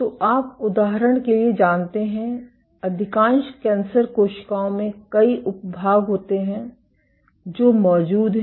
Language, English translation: Hindi, So, you know for example, in most cancer cells there are multiple subpopulations which are present